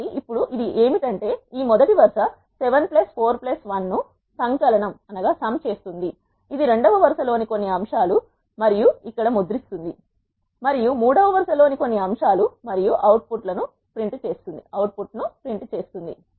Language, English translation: Telugu, So, now what does is it will sum up this first row 7 plus 4 plus 1 it is 12 some of the elements in the second row and prints here, and some of the elements in the third row and prints the output